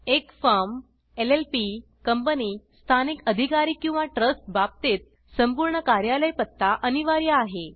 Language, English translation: Marathi, In case of a Firm, LLP, Company, Local Authority or a Trust, complete office address is mandatory